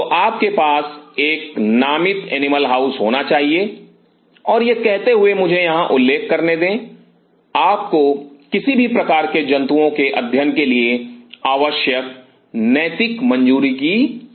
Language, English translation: Hindi, So, you have to have a designated animal house and having said this let me mention here you needed for any kind of animal studies you need ethical clearance